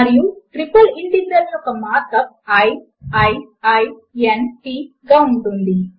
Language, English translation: Telugu, And the mark up for a triple integral is i i i n t